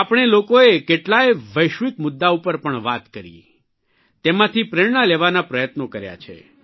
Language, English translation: Gujarati, We also spoke on many global matters; we've tried to derive inspiration from them